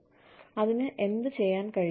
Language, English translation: Malayalam, And, what it could do